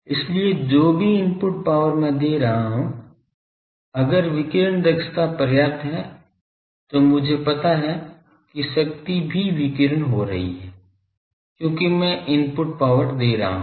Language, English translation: Hindi, So, whatever input power I am giving , if radiation efficiency is substantial I know ok that power is also getting radiated because I am giving input power